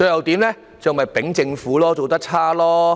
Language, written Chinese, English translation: Cantonese, 便是罵政府做得差。, They chided the Government for poor performance